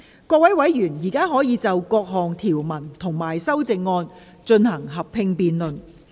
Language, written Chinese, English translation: Cantonese, 各位委員現在可以就各項條文及修正案，進行合併辯論。, Members may now proceed to a joint debate on the clauses and amendments